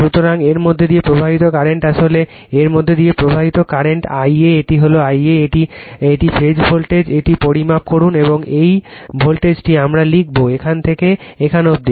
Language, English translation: Bengali, So, current flowing through this actually , current flowing through this , is your I a this is your I a , this is the phasor at voltage measure this we write this voltage from here to here